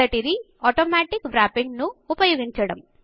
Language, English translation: Telugu, The first one is by using Automatic Wrapping